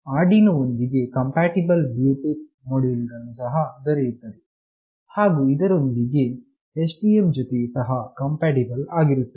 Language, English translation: Kannada, Arduino compatible Bluetooth modules are also there,s and of course STM compatible